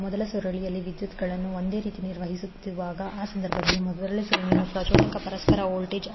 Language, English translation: Kannada, While maintaining the currents same in the first coil, so in that case the induced mutual voltage in first coil will be M 12 di 2 by dt